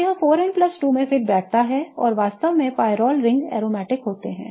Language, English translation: Hindi, So, that fits 4N plus 2 and in fact pyrole rings are seen to be aromatic